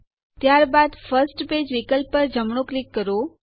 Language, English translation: Gujarati, Then right click on the First Page option